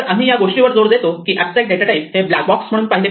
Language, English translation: Marathi, So, what we would like to emphasize is that an abstract data type should be seen as a black box